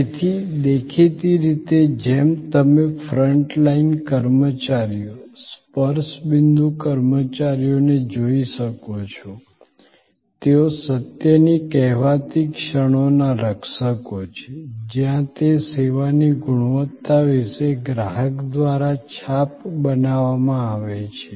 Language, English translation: Gujarati, So; obviously, as you can see the front line personnel, the touch point personnel, they are the custodians of the so called moments of truth, where impressions are formed by the consumer about the quality of that service